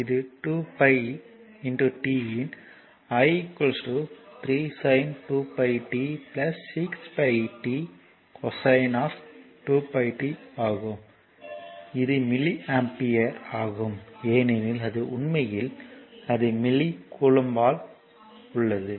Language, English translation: Tamil, So, it is i is equal to 3 sin 2 pi t plus 6 pi t cosine of 2 pi t that is milli ampere because it is it is is actually it is in milli coulomb